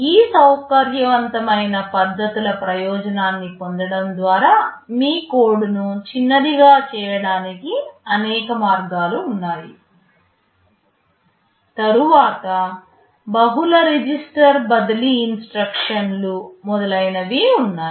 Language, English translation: Telugu, There are many ways in which you can make your code shorter by taking advantage of these flexible methods, then the multiple register transfer instructions, and so on